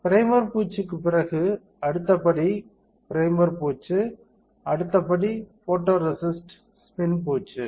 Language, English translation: Tamil, After primer coating, next step is, primer coating, next step is photoresist spin coating